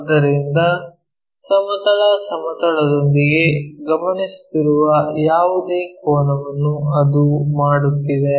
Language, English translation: Kannada, So, that with horizontal plane the angle whatever it is making that we are observing